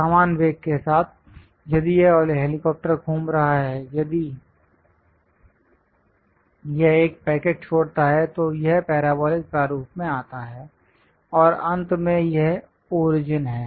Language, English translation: Hindi, With uniform velocity, if this helicopter is moving; if it releases a packet, it comes in parabolic format, and finally this is the origin